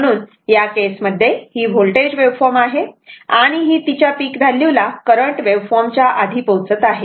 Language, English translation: Marathi, So, in that case this is the voltage wave form, it is reaching peak value earlier before the current